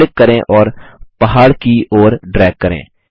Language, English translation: Hindi, Now click and drag towards the mountain